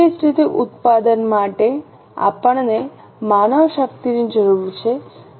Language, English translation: Gujarati, In the same way, for the production we need manpower